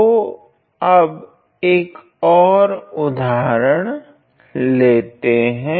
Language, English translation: Hindi, So, let us now consider another example